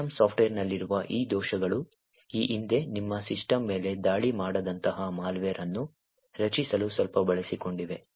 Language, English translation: Kannada, So, these bugs present in system software have been in the past exploited quite a bit to create a malware that could attack your system